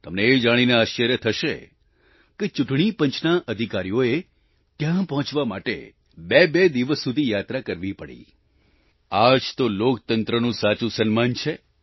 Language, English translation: Gujarati, You will be amazed to know that it took a journey of two days for personnel of the Election Commission, just to reach there… this is honour to democracy at its best